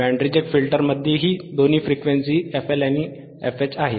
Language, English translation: Marathi, Band Reject band reject is two frequencies FL FH right